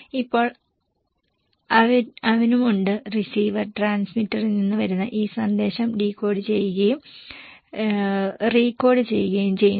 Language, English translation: Malayalam, They send it to the receiver and receiver also decode, decodify and recodify this message